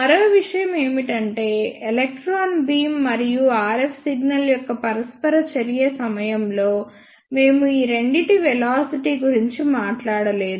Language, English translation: Telugu, One more thing during the interaction of electron beam and the RF signal, we have not talked about the velocities of these two